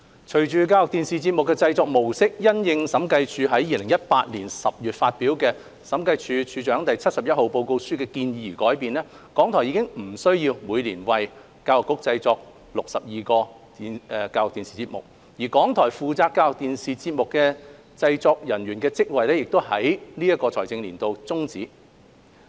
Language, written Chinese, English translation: Cantonese, 隨着教育電視節目的製作模式因應審計署於2018年10月發表的《審計署署長第七十一號報告書》的建議而改變，港台已不需要每年為教育局製作62個教育電視節目，港台負責教育電視節目製作的職位亦已於本財政年度終止。, Following the change in mode of production of ETV programmes in light of the recommendations made in the Director of Audits Report No . 71 published in October 2018 RTHK is no longer required to produce 62 ETV programmes for the Education Bureau every year . RTHK posts responsible for production of ETV programmes have also lapsed in this financial year